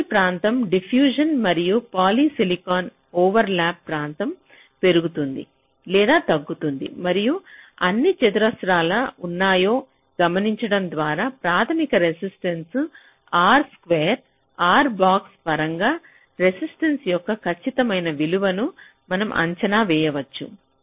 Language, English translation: Telugu, so the concept that comes in to the picture is this: the channel area, the diffusion and poly silicon overlap area that increases or decreases, and just by noting down how many squares are there, we can estimate the exact value of resistance in terms of the basic resistance: r square, r box